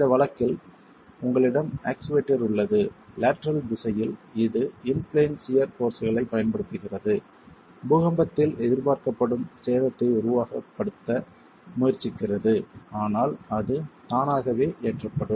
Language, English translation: Tamil, In this case, you have the lateral, you have the actuator in the lateral direction which is applying the in plain shear forces trying to simulate the kind of damage that is expected in an earthquake but under a quasi static condition of loading itself